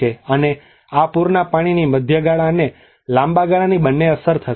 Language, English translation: Gujarati, And this flood water will have both the mid term and the long term impacts